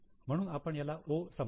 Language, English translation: Marathi, So, we will mark it as O